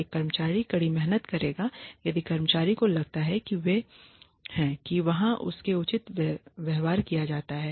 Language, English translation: Hindi, An employee will work harder if the employee feels that they are that she or he is being treated fairly